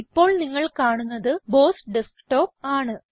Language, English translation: Malayalam, What you are seeing here, is the BOSS Desktop